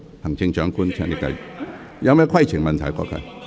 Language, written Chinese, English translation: Cantonese, 行政長官，請你繼續發言。, Chief Executive please continue with your speech